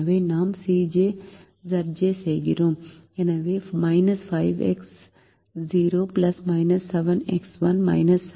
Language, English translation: Tamil, so we write the c j minus z j